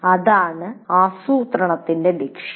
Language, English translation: Malayalam, That is a purpose of planning